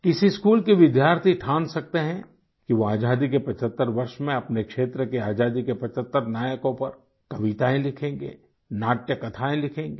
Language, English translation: Hindi, Students of some schools can also resolve to write 75 poems and theatrical stories on the heroes of our freedom movement to mark the 75th year of our independence